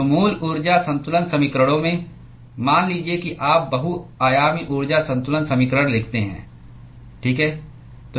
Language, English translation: Hindi, So, in the original energy balance equations supposing you write multi dimensional energy balance equation, okay